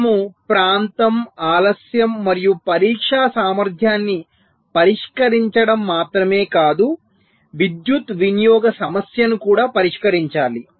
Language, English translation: Telugu, so not only we have to address area, delay and testability, also you have to address this power consumption issue